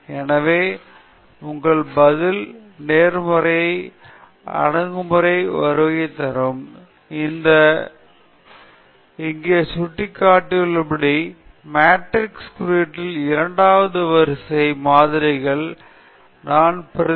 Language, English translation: Tamil, So, coming back to our Response Surface Methodology approach, we can represent the second order model in matrix notation as shown here; beta naught hat plus x prime b plus x prime BX